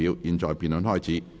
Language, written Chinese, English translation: Cantonese, 現在辯論開始。, The debate now commences